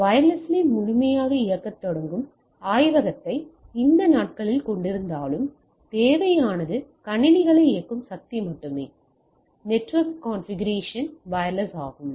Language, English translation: Tamil, Even we are these days having a lab starting full working fully on wireless; like, what you require is only the power to power the systems, the network configuration is wireless